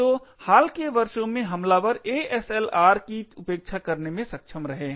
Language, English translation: Hindi, So, in the recent years, attackers have been able to bypass ASLR as well